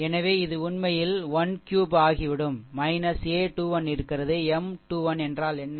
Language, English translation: Tamil, So, this is actually minus 1 cube so, it will become minus a 2 1 is there, and what is M 2 1